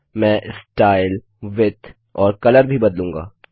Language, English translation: Hindi, I will also change the Style, Width and Color